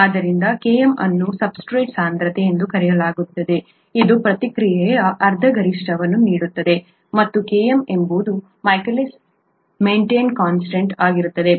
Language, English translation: Kannada, So Km is called the substrate concentration which gives half maximal rate of the reaction, right, and Km is the Michaelis Menton constant